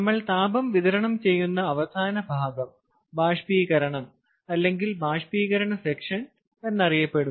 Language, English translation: Malayalam, the end at which we are supplying heat is known as the evaporator end, or the evaporator or the evaporator section